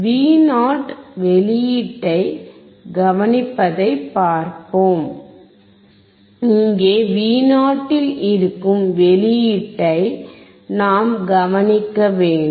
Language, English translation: Tamil, We will see observe the output at Vo we have to observe the output which is at here Vo